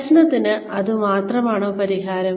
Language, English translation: Malayalam, Is it the only solution, to the problem